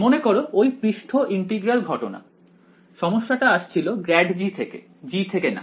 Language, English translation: Bengali, Remember the surface integral case the problem came from grad g not g ok